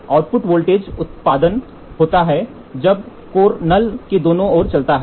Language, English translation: Hindi, The output voltage is generated when the core moves on either sides of the null